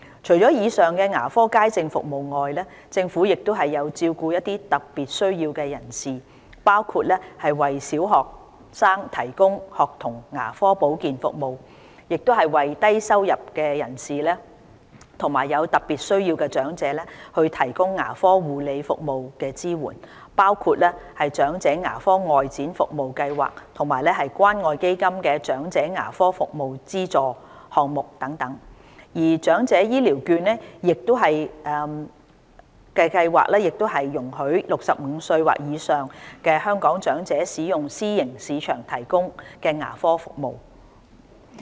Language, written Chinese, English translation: Cantonese, 除以上牙科街症服務外，政府亦有照顧一些有特別需要的人士，包括為小學生提供學童牙科保健服務，為低收入及有特別需要的長者提供牙科護理服務支援，包括長者牙科外展服務計劃及關愛基金"長者牙科服務資助"項目等，而長者醫療券計劃亦容許65歲或以上的香港長者使用私營市場提供的牙科服務。, Apart from general public sessions there are also other measures to take care of persons with special needs including the School Dental Care Service for primary school students and dental care support for the low - income elderly with special needs such as the Outreach Dental Care Programme for the Elderly and Community Care Fund Elderly Dental Assistance Programme . Besides the Elderly Health Care Voucher Scheme allows Hong Kong elderly persons aged 65 or above to use the vouchers for private dental services